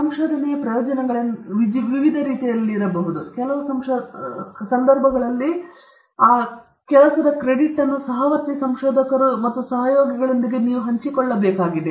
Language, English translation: Kannada, This benefits of the research can be of different types; on some occasions, credit of the research work needs to be shared with fellow researchers and collaborators